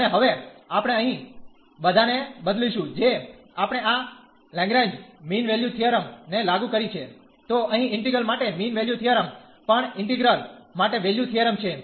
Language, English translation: Gujarati, And now we will replace all here we have applied this Lagrange mean value theorem, then the mean value theorem for integral here also mean value theorem for integral